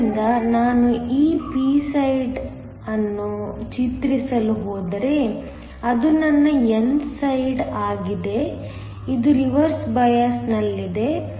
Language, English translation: Kannada, So, if I were to draw this p side, that is my n side, this is under reverse bias